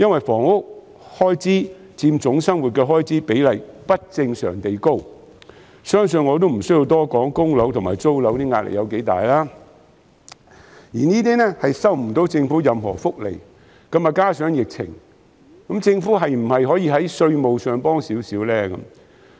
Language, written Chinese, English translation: Cantonese, 房屋開支佔總生活開支的比例不正常地高，相信我也不需要多說供樓及租樓的壓力有多大，他們卻收不到政府任何福利；再加上疫情，政府可否在稅務上提供少許支援？, Housing expenses account for an abnormally high proportion of the total living expenses and I believe I do not need to elaborate on the pressure borne by them in making mortgage repayments and rent payments . Yet they have not received any benefits from the Government . Can the Government provide certain tax - related support amid the pandemic?